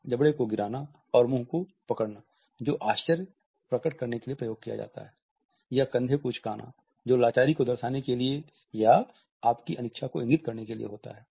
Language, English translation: Hindi, For example, dropping the jaw and holding the mouth which is used to indicate surprise or shrugging the shoulders to indicate helplessness or your unwillingness to talk